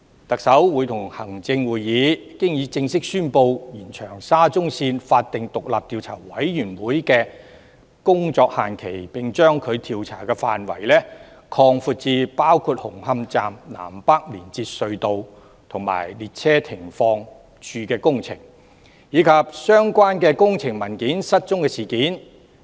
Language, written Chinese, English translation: Cantonese, 特首會同行政會議已經正式宣布延長沙中線法定獨立調查委員會的工作限期，並把調查範圍擴闊至包括紅磡站南北連接隧道及列車停放處的工程，以及相關的工程文件失蹤事件。, The Chief Executive in Council has already officially announced the extension of the working deadline of the statutory independent Commission of Inquiry in respect of SCL and expansion of the scope of inquiry to cover the works in the North and South Approach Tunnels and stabling sidings in Hung Hom Station as well as the disappearance of the relevant construction documents